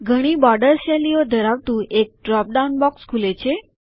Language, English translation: Gujarati, A drop down box opens up containing several border styles